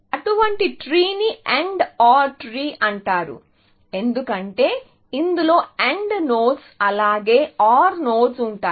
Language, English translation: Telugu, So, such a tree is called an AND OR tree, because it has AND nodes as well as OR nodes in that